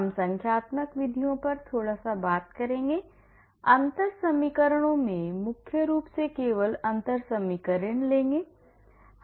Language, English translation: Hindi, We will talk little bit on numerical methods, differential equations predominantly only differential equations